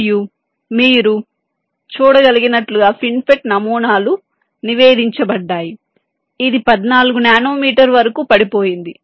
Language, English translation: Telugu, and as you can see, fin fet has design such been reported which has gone down up to fourteen nanometer